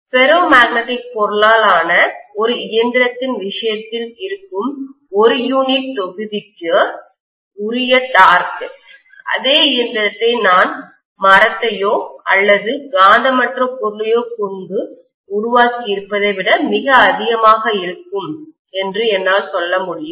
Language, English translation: Tamil, I would be able to say that torque per unit volume will be definitely much higher in the case of a machine made up of a ferromagnetic material as compared to if I had made the same machine with wood or a non magnetic material